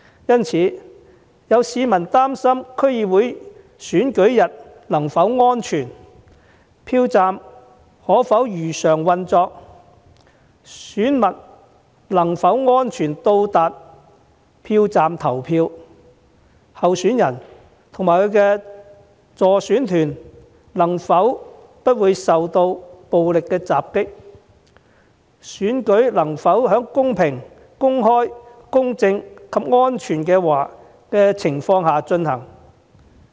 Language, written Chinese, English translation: Cantonese, 因此，有市民擔心區議會選舉日是否安全，票站可否如常運作，選民能否安全抵達票站投票，候選人及其助選團能否不受暴力襲擊，選舉能否在公平、公開、公正及安全的情況下進行。, For these reasons some people have become concerned whether the polling day of the DC Election will be safe whether the polling stations can operate normally whether voters can reach the polling stations safely to cast their votes whether candidates and their electioneering teams can be protected from violent attacks and whether the election can be conducted in a fair open impartial and safe environment